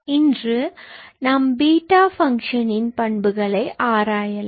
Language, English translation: Tamil, Today, we are going to analyze some properties of beta function